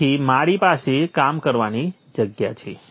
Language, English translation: Gujarati, So I have the workspace